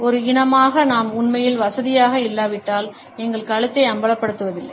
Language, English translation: Tamil, We as a species do not expose our necks, unless we were really comfortable